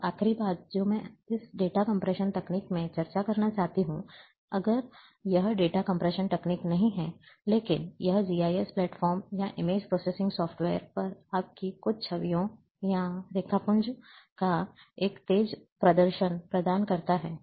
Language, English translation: Hindi, Now the last thing which I want to discuss in this data compression techniques, if this is not exactly data compression techniques, but it provides a speedy display of your certain images, or raster, on GIS platforms, or an image processing software’s